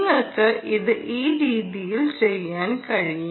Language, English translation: Malayalam, you can do it this way